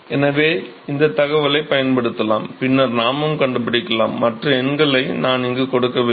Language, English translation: Tamil, So, we can use this information and then we can also find, I have not given other numbers here